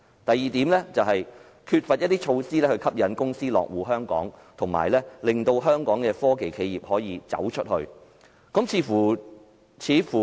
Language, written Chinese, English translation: Cantonese, 第二，缺乏措施吸引公司落戶香港，並且令香港的科技企業走出去。, Second there is a lack of measures to attract companies to settle in Hong Kong and enable technology enterprises in Hong Kong to go global